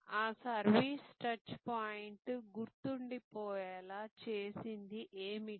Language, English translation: Telugu, What made that service touch point memorable